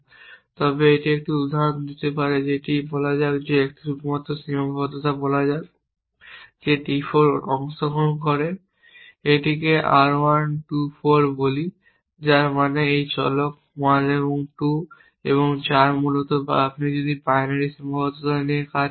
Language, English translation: Bengali, So, that instead of if you cannot find a value for d 4 just to give an example that let say only constraint that d 4 participate it is in let us call it R 1 2 4 which means this variables 1 and 2 and 4 essentially or if you want to work with binary constraints and let us say R 1 4 and R 2 4